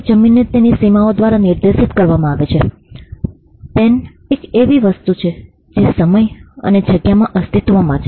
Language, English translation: Gujarati, A land is defined by its boundaries, a pen is an object that exists in time and space